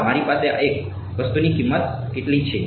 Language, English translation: Gujarati, Yeah I have some value of the thing